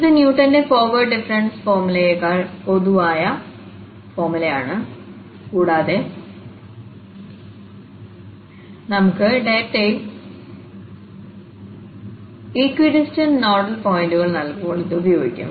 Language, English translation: Malayalam, So, this is the formula which is more general than for instance the Newton's forward difference formula and this can be used when we have non equidistant nodal points given in our data